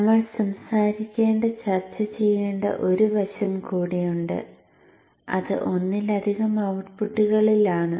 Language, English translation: Malayalam, There is one more aspect that we need to talk of, discuss and that is on multiple outputs